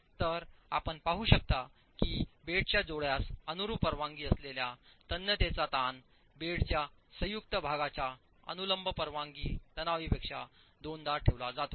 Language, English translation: Marathi, So you can see that the tensile strength here that the permissible tensile stress parallel to the bed joint is kept twice as that of the permissible tensile stress perpendicular to the bed joint